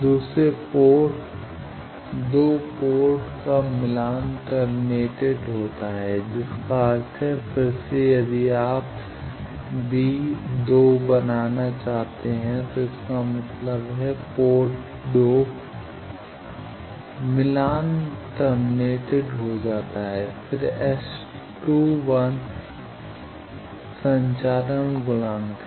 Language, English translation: Hindi, The second port 2 port is match terminated that means, again V 2 plus is equal to 0, if you make V 2 plus is equal to 0 this means port 2 match terminated then S 21 is transmission coefficient